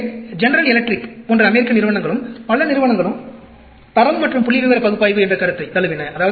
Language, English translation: Tamil, So, the American companies like General Electric, and many other companies also adapted the concept of quality and statistical analysis